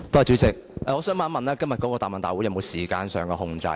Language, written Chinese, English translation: Cantonese, 主席，我想問今天的答問會是否有時間上的控制？, President may I ask if there is any time control in this Question and Answer Session?